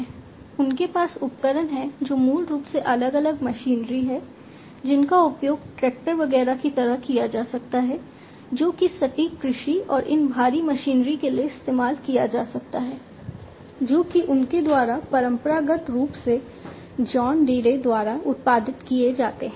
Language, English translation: Hindi, They have equipments which are basically different machinery, which can be used like tractors etcetera, which can be used for precision agriculture and these heavy machinery, that are produced by them traditionally, John Deere